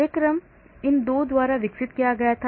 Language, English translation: Hindi, The program was developed by these 2